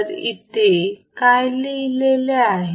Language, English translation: Marathi, So, what is here what is written here